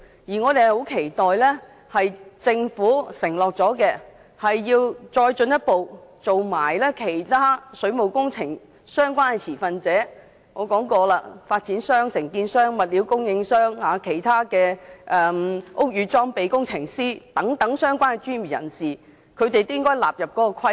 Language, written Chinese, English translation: Cantonese, 我們十分期待政府能兌現承諾，進一步將其他水務工程相關的持份者，例如我先前提到的發展商、承建商、物料供應商、其他的屋宇裝備工程師等相關專業人士一併納入規管。, We strongly hope that the Government will honour its pledges by further extending the scope of its regulation to include other stakeholders in waterworks including developers contractors suppliers of materials and other relevant professionals like Building Services Engineers as I have mentioned earlier